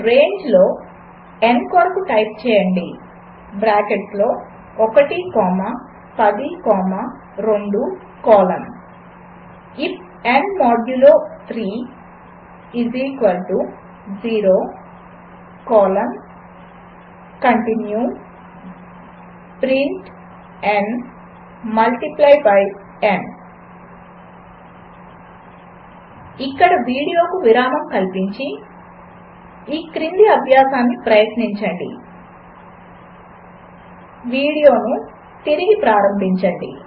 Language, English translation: Telugu, So, in terminal, Type for n in range within bracket 1 comma 10 comma 2 colon if n modulo 3 == 0 colon continue print n multiply by n Now Pause the video here, try out the following exercise and resume the video